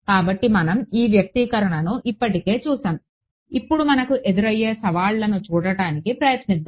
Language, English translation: Telugu, So, we have seen this expression before now when I now let us just try to look at the challenges